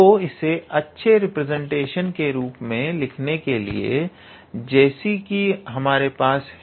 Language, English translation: Hindi, So, in order to put it in a nice representation form like we have here